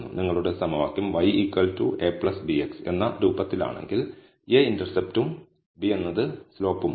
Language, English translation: Malayalam, If your equation is of the form y equal to a plus bx, then a is my intercept and b is my slope